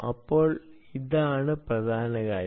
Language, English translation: Malayalam, so this is the problem